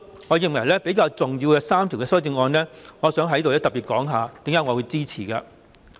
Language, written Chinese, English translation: Cantonese, 我認為當中3項修正案比較重要，想在此特別指出為何我會支持。, I think three of the amendments are more important and would like to point out here in particular my reasons for supporting these amendments